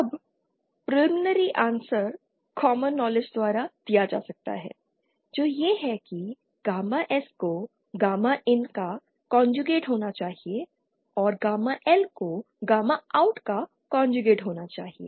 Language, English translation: Hindi, Now the preliminary answer can be given by common knowledge which is that gamma S should be the conjugate of gamma IN and gamma L should be the conjugate of gamma OUT